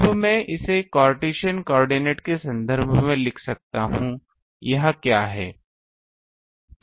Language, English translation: Hindi, Now I can write it in terms of Cartesian coordinate what is it